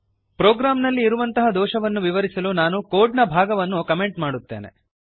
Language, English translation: Kannada, To explain the error in the program, I will comment part of the code